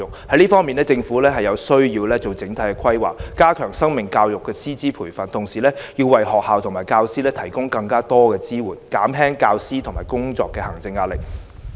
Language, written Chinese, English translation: Cantonese, 在這方面，政府有需要作整體的規劃，加強生命教育的師資培訓，同時為學校和教師提供更多支援，減輕教師的工作和行政壓力。, Life education must hence be strengthened in schools . To achieve this the Government should develop an overall plan and better equip teachers to teach life education . At the same time it has to increase its support to schools and teachers so as to reduce the workload and administrative duties of teachers